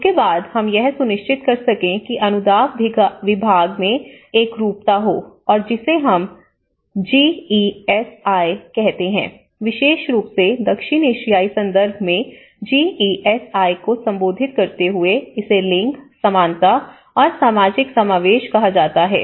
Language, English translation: Hindi, Then, there is how we can ensure that there is a uniformity in the grant division and we call it as GESI, addressing GESI especially in the South Asian context one is called gender, equality and social inclusion